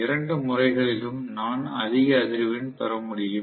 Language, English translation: Tamil, Either way, I should be able to get a higher frequency